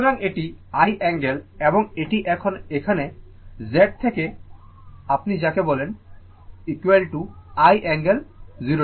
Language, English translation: Bengali, So, this is i angle and it is coming know Z what you call this one is equal to i angle 0 degree